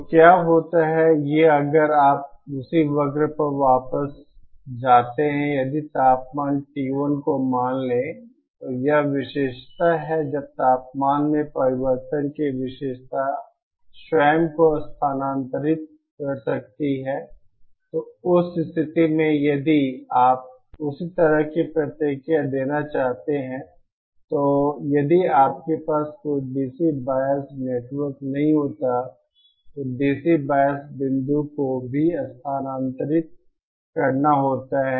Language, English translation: Hindi, So what happens is, these if you go back to the same curve if suppose the temperature T 1, this is the characteristic when the temperature changes the characteristic itself might shift, so in that case if you want to give the same kind of response then the DC bias point also has to shift if had you not had any DC bias network